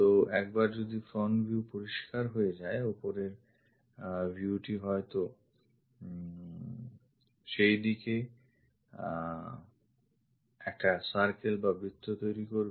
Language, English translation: Bengali, So, once front view is clear, top view supposed to make circle at that location